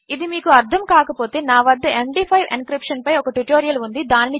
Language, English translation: Telugu, If you dont understand this I have a tutorial on MD5 encryption